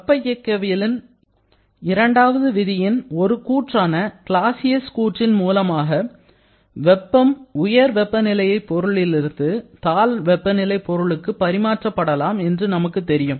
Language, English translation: Tamil, From the Clausius statement of the second law of thermodynamics, we know that heat can move only from a high temperature body to a low temperature body